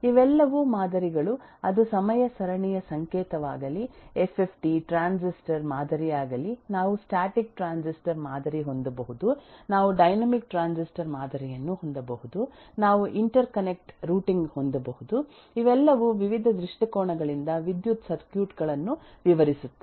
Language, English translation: Kannada, All of these are models, whether it’s a time series signal, FFT, a transistor model, we can have static transistor model, we can have a dynamic transistor model, we can have interconnect routing, all of these describe electrical circuits but from various different angles